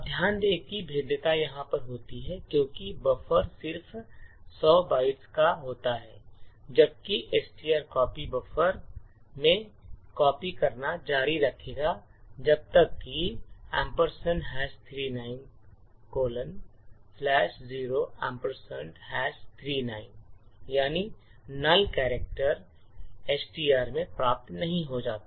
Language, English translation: Hindi, Now note that the vulnerability occurs over here because buffer is of just 100 bytes while string copy would continue to copy into buffer until slash zero or a null character is obtained in STR